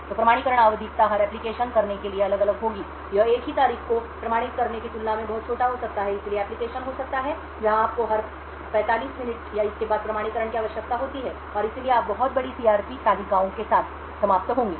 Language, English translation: Hindi, So the periodicity of the authentication would vary from application to application, it could be much smaller than authenticating a single date so there could be application where you require authentication every say 45 minutes or so and therefore you would end up with very large CRP tables